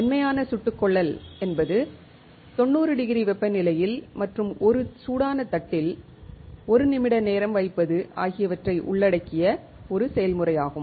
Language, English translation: Tamil, Soft bake, is a process involving temperature of ninety degrees and time of one minute on a hot plate